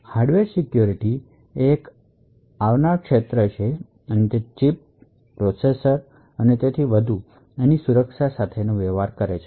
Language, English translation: Gujarati, So, Hardware Security is quite an upcoming field and it actually deals with security in chips, processors and so on